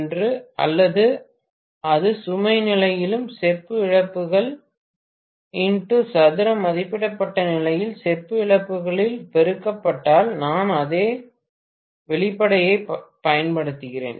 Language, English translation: Tamil, Because, copper losses at any load condition x if x square multiplied by copper losses at rated condition, so I am just using the same expression